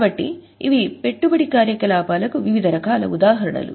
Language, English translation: Telugu, So, these are variety of examples of investing activity